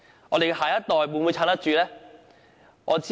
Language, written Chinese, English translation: Cantonese, 我們的下一代，又是否有能力支撐？, Will the next generation be able to cope with this?